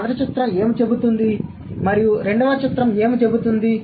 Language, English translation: Telugu, What does the first picture say and what does the second picture say